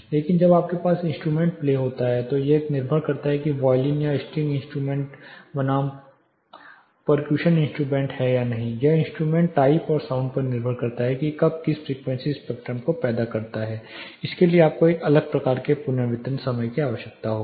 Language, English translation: Hindi, Whereas, when you have instrumentation playing depends if it is a violin or string instrument versus a percussion instrument depending on the type or a wind instrument depending on instrument type and sound it produces the frequencies spectrum will produces sound you will require a different type of reverberation time